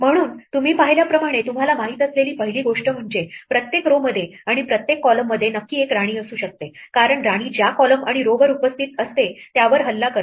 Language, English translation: Marathi, So, as you observed, the first of first thing you know is that there can be exactly one queen in each row and in each column because queens attack the column and row on which they lie